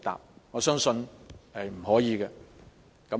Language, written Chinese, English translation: Cantonese, 不過，我相信是不可以的。, Nevertheless I believe he cannot